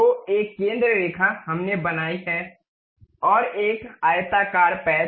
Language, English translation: Hindi, So, a centre line we have constructed, and a rectangular patch